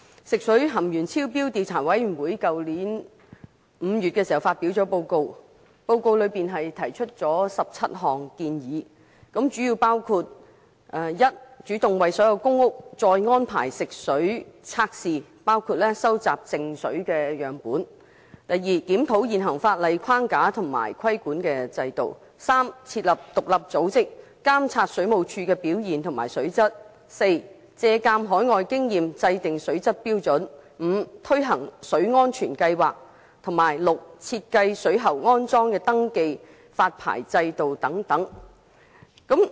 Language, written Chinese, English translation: Cantonese, 食水含鉛超標調查委員會在去年5月發表報告，提出了17項建議，主要包括第一，主動為所有公屋再安排食水測試，包括收集靜水樣本；第二，檢討現行法例框架及規管制度；第三，設立獨立組織，監察水務署的表現及水質；第四，借鑒海外經驗，制訂水質標準；第五，推行水安全計劃；以及第六，設計水喉安裝登記及發牌制度等。, In the report published by the Commission of Enquiry into Excess Lead Found in Drinking Water there are totally 17 recommendations . The gist of these recommendations is that the Government should first undertake to test the drinking water of all PRH estates again including the testing of stagnant water; second review the existing legislative framework and regulatory regime; third set up an independent body to overlook the performance of the Water Supplies Department WSD and water quality in Hong Kong in general; fourth establish the Hong Kong Drinking Water Standards taking into account overseas experience and practices; fifth implement Water Safety Plans; and sixth devise a licensing and registration regime for parties responsible for plumbing installations . These recommendations are still fresh in our memory and are yet to be implemented